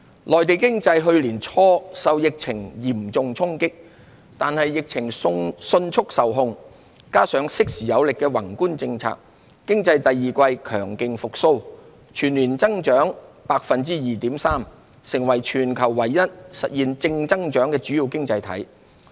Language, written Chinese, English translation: Cantonese, 內地經濟去年初受疫情嚴重衝擊，但疫情迅速受控，加上適時有力的宏觀政策，經濟自第二季強勁復蘇，全年計增長 2.3%， 成為全球唯一實現正增長的主要經濟體。, The Mainland economy was hard hit by the epidemic in early 2020 . Nevertheless with the epidemic swiftly put under control and vigorous macro policies implemented in a timely manner the Mainland economy experienced a strong rebound since the second quarter with an annual growth of 2.3 % making our country the only major economy in the world that achieved a positive growth